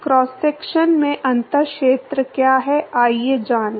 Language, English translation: Hindi, What is the differential area in a cross section, come on